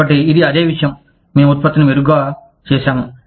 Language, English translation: Telugu, So, it is the same thing, we have just made the product better